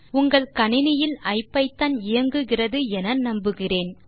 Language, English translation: Tamil, I hope you have, IPython running on your computer